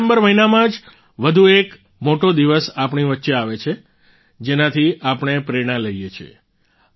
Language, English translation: Gujarati, In the month of December, another big day is ahead of us from which we take inspiration